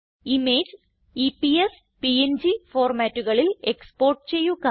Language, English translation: Malayalam, Export the image as EPS and PNG formats